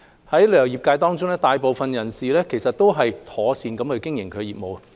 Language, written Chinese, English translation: Cantonese, 旅遊業界中，大部分人士一直妥善經營業務。, Most members of the industry have been properly running their businesses